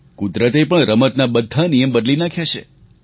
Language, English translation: Gujarati, Nature has also changed the rules of the game